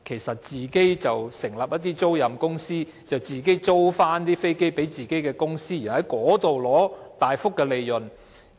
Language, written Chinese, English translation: Cantonese, 是否成立一些租賃公司，把飛機租給自己的公司，從中取得大幅利潤？, Will leasing companies be set up to lease aircrafts to their own companies to reap significant profits?